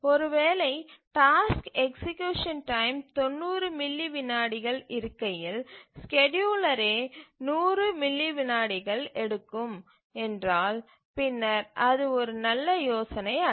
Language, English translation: Tamil, If the task execution time is 90 milliseconds and the scheduler itself takes 100 milliseconds, then it is not a good idea